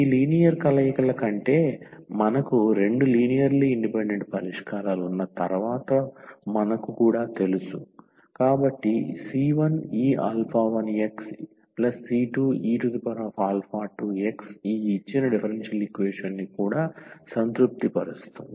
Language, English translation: Telugu, What we also know once we have two linearly independent solutions than this linear combinations, so alpha 1 e power also c 1 e power alpha 1 x and plus the another constant times e power alpha 2 x that will also satisfy this given differential equation